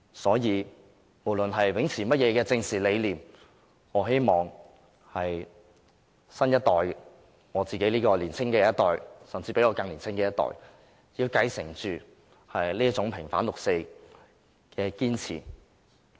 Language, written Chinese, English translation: Cantonese, 所以，不論秉持哪種政治理念，我希望包括我在內的年青一代，甚至比我更年青的一代，要繼承這種平反六四的堅持。, Therefore I hope that despite their dissenting political views the young generation to which I belong and even the generations of people younger than me can inherit our persistence in vindicating the 4 June incident